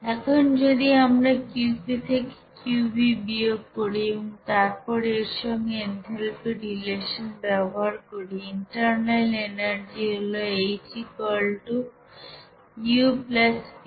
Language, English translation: Bengali, Now if we subtract this you know Qv from Qp and use the relationship of enthalpy with this you know internal energy as like this H = U + pV